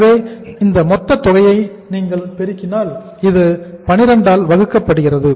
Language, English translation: Tamil, So if you multiply this total amount this works out as divided by 12